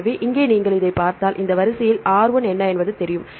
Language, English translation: Tamil, So, here if you see this one what is R1 here in this sequence this is M R 2